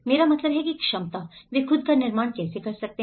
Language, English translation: Hindi, I mean capacity, how they can build themselves